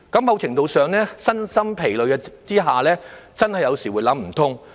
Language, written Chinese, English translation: Cantonese, 某程度上，在身心皆疲的情況下，他們有時真的會想不通。, In some cases being physically and mentally exhausted they may really think that they have no way out at certain point